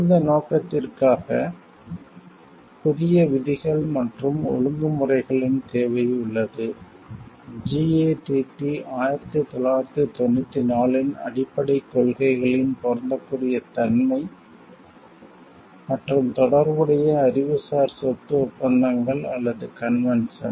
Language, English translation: Tamil, Recognizing to this end, the need for new rules and disciplines concerning: the applicability of the basic principles of GATT 1994 and a relevant Intellectual Property Agreements or conventions